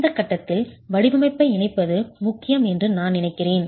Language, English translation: Tamil, With that I think it is at this stage important to link up to design